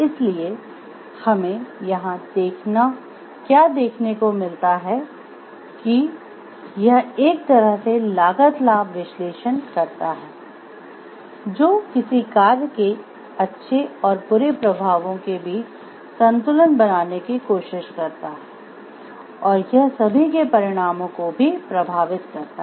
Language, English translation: Hindi, So, what we get to see over here it does a sort of cost benefit analysis in terms of it tries to balances between the good effects and the bad effects consequences of an action and it also takes into account the consequences of everybody affected it